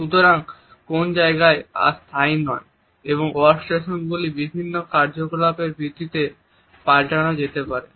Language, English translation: Bengali, So, the space is no more fixed and the workstations may also change on the basis of the activities